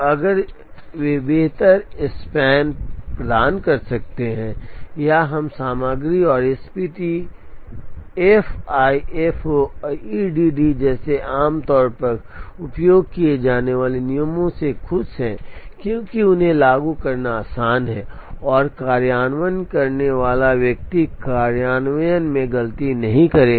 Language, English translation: Hindi, If they can provide better make span or are we content and happy with commonly used rules like SPT FIFO and EDD, because they are easy to implement and the person implementing will not make a mistake in implementation